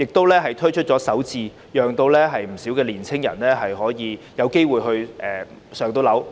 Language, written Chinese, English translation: Cantonese, 她又推出首置計劃，讓不少年青人有機會置業。, She further introduced the Starter Homes scheme to provide quite a number of young people with home ownership opportunities